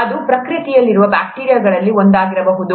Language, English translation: Kannada, This could be one of the bacteria that is present in nature